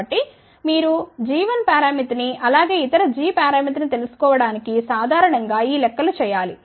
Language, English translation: Telugu, So, you have to do these calculations in general to find out the g 1 parameter as well as other g parameter